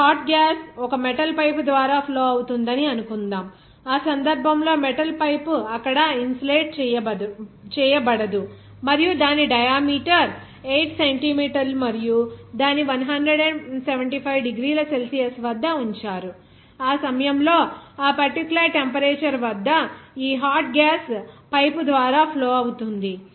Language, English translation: Telugu, Suppose a hot gas is flowing through a metal pipe, that case the metal pipe is not insulated there and its diameter is 8 centimeter and it is kept at 175 degrees Celsius, at which that this hot gas at that particular temperature is flowing through the pipe